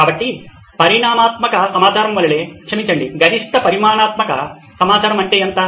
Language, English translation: Telugu, So, like a quantitative data, sorry, quantitative data is what is the high side